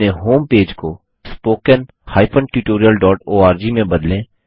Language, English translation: Hindi, Change your home page to spoken tutorial.org